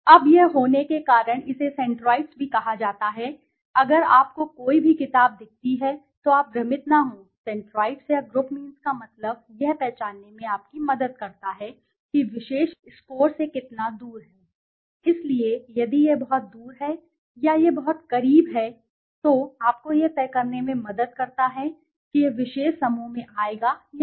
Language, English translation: Hindi, Now, by having this is also called as centroids, if any book you see do not get confused, centroids or the group means is helps you to identify how far is the particular score from the group mean, so if it is very far or it is very close, that helps you to decide whether it is, it will be falling into the particular group or not okay